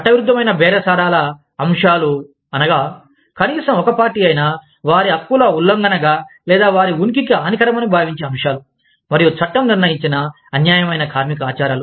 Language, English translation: Telugu, Illegal bargaining topics are topics, that at least one party, considers as an infringement of their rights, or detrimental to their existence, and that the law determines are, unfair labor practice